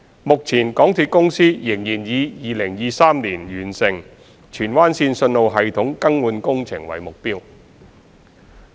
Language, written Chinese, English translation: Cantonese, 目前港鐵公司仍然以2023年完成荃灣綫信號系統更換工程為目標。, MTRCL still aims to complete the signalling system upgrade of Tsuen Wan Line in 2023